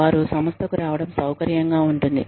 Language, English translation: Telugu, They feel comfortable, coming to the organization